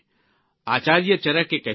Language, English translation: Gujarati, Acharya Charak had said…